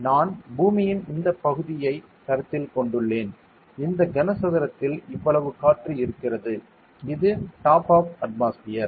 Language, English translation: Tamil, And I have considered this area of earth and this much air is over here inside this cuboid this is the top of the atmosphere